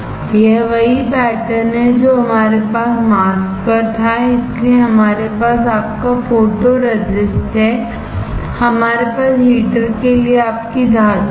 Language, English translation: Hindi, This is same pattern which we had on the mask, so we have your photo resist; we have your metal for heater